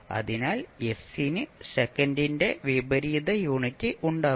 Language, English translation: Malayalam, So, s will have a unit of inverse of second